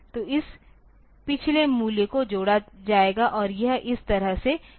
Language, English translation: Hindi, So, this previous value will be added and it will be doing like this